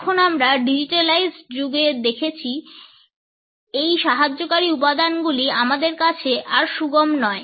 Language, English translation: Bengali, Now, we find that in the digitalised age, these aids are not any more accessible to us